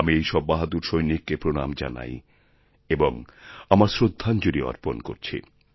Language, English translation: Bengali, I salute these valiant soldiers and pay my tributes to them